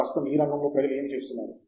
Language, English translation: Telugu, What is happening currently in the area